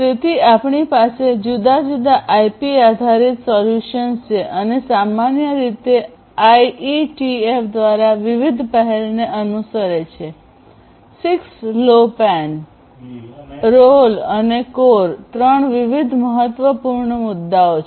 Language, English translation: Gujarati, So, we have different IP based solutions as well typically following different initiatives by IETF, 6LoWPAN, ROLL and CoRE are 3 different important ones which I mentioned already